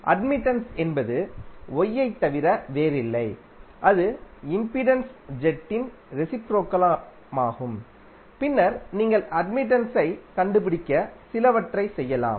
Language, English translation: Tamil, Admittance is nothing but Y and it is reciprocal of the impedance jet and then you can some up to find out the admittance